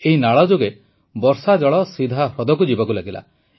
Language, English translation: Odia, Through this canal, rainwater started flowing directly into the lake